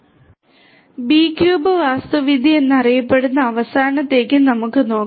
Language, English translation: Malayalam, Let us look at the last one which is known as the B cube architecture